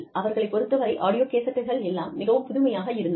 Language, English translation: Tamil, And, for them, audio cassettes, were a novelty